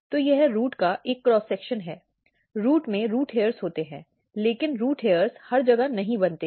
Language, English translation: Hindi, So, this is a cross section of root; in root we have root hairs, but root hairs does not form everywhere